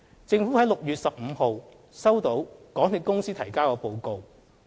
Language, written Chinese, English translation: Cantonese, 政府在6月15日收到港鐵公司提交的報告。, The Government received the report submitted by MTRCL on 15 June